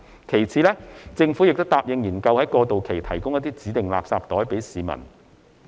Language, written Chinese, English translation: Cantonese, 其次，政府亦答應研究在過渡期向市民提供指定垃圾袋。, Second the Government has also agreed to consider providing designated garbage bags to the public during the transitional period